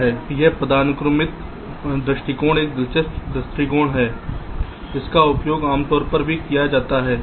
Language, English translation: Hindi, this hierarchical approach is an interesting approach which also is quite commonly used